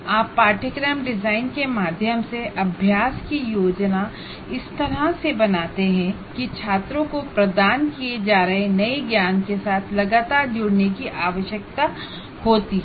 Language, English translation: Hindi, You plan exercises through course design in such a way that students are required to engage constantly with the new knowledge that is being imparted